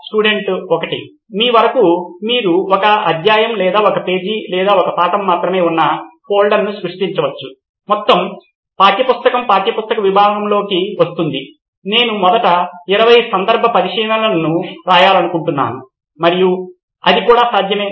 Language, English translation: Telugu, Up to you, you can create a folder which has only one chapter or one page or one lesson, entire textbook would be into the textbook section, like I want to write 20 cases first and that is also possible